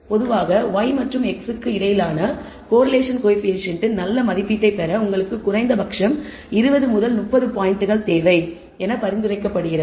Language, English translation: Tamil, Typically in order to get a good estimate of the correlation coefficient between y and x you need at least 20 30 points